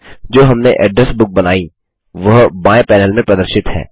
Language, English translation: Hindi, By default the Personal Address Book is selected in the left panel